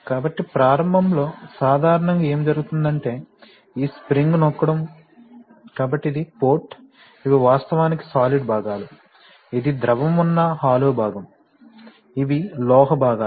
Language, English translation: Telugu, So, initially, normally what is happening is that this spring is pressing, so this is, so this port is, these are actually solid parts, this is not that, you know this is the hollow part where the fluid exists, these are solid parts, metallic part